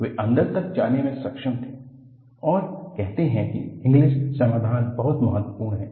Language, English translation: Hindi, He was able to penetrate and say Inglis solution is very important